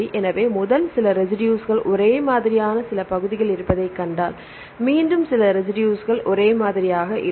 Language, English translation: Tamil, So, if we see there are some regions which are same first few residue are same, then again some residues are same